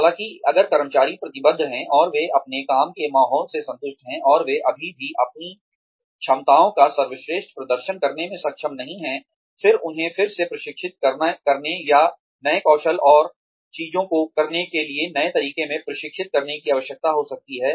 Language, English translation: Hindi, However, if the employees are committed, and they are satisfied with their work environment, and they are still not able to perform, to the best of their abilities; then, a need to re train them, or to train them, in newer skills, and newer ways of doing things, may be there